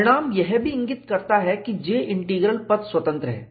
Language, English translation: Hindi, The result also indicates that J Integral is path independent